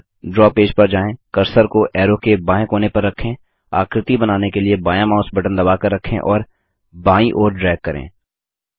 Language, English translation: Hindi, Now, move to the draw page, place the cursor on the left branch of the arrow, hold the left mouse button and drag left to draw the shape